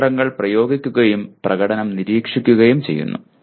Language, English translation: Malayalam, Applying strategies and monitoring performance